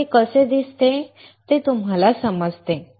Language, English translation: Marathi, So, that you understand how it looks like